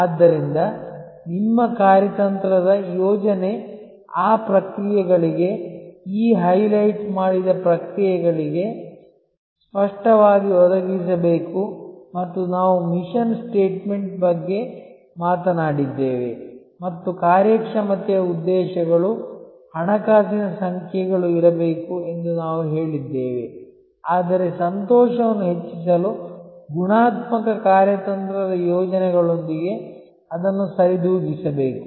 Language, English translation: Kannada, So, your strategy plan must clearly provide for those processes, these highlighted processes and we talked about mission statement and we also said, that there has to be performance objectives, financial numbers, but that must be compensated with qualitative strategic plans for enhancing the delight of the current customers and co opting them for future customers